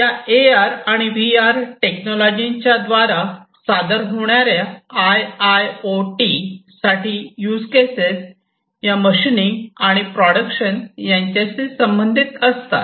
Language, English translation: Marathi, The different use cases that are served by AR and VR for IIoT are things like machining and production